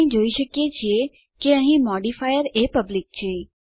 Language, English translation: Gujarati, We can see that the modifier here is public